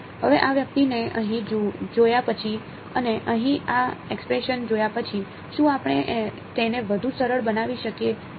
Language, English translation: Gujarati, Now, having seen this guy over here and having seen this expression over here, can we further simplify this